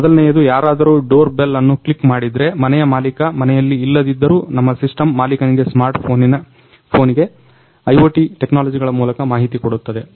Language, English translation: Kannada, First one is if somebody clicks a doorbell even though the owner of the house is not present at house, our system can inform the owner on a smart phone through IoT technologies